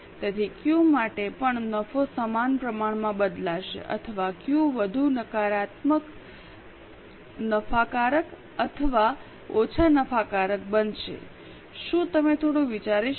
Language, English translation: Gujarati, So, for Q also the profit will change in the same proportion or Q will be more profitable or less profitable